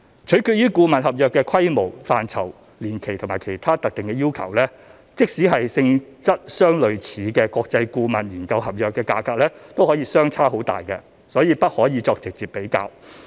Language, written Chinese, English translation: Cantonese, 取決於顧問合約的規模、範疇、年期及其他特定要求，即使是性質相類似的國際顧問研究合約價格可以相差很大，所以不可以作直接比較。, Depending on the scale scope duration and other specific requirements of the consultancy contract there could be a huge variation in price even for global consultancy studies of similar nature . These studies cannot be compared side - by - side